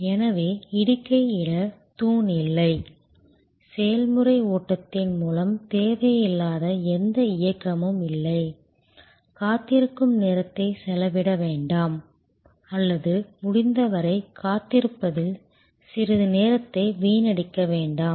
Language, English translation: Tamil, So, no pillar to post, no movement which is unnecessary through the process flow, no time spend waiting or as little time wasted in waiting as possible